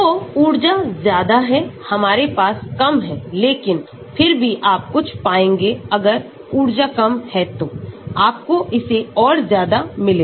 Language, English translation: Hindi, So, the energy is higher we will have less of it but, still you will find some if energy is lower you will find more of it